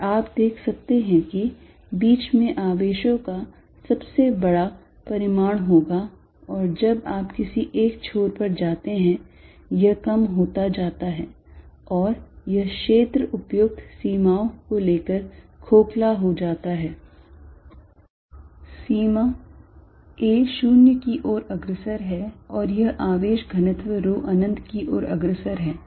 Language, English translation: Hindi, And you can see in the middle the charges are going to have largest magnitude and it diminishes as you go to the side and this region is hollow by taking appropriate limits, limit a going to 0 and this charge density rho going to infinity